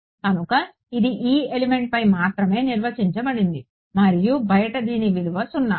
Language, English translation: Telugu, So, this is defined only over element e and it is zero outside